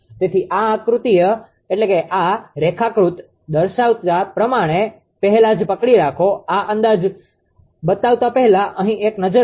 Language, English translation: Gujarati, So, just just hold on before before showing this diagram, before showing this before showing this approximation, just have a look here right